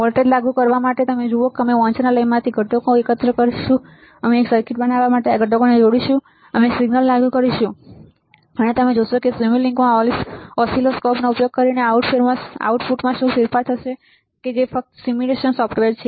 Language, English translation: Gujarati, To apply voltage, you see we will gather the components from the library, we will attach this components to form a circuit we will apply a signal and you will see what is the change in output using the oscilloscope in simulink which just simulation software